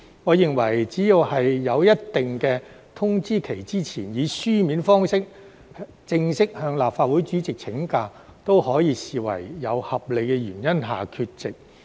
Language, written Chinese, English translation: Cantonese, 我認為只要在一定的通知期前，以書面方式正式向立法會主席請假，都可以視為有合理原因下缺席。, In my opinion a Member may be deemed absent for valid reasons as long as he or she has made a formal leave application in writing to the President of the Legislative Council before a specific notice period